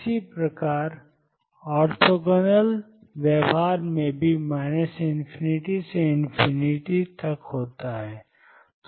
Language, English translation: Hindi, Similarly, in orthogonal behavior is also minus infinity to infinity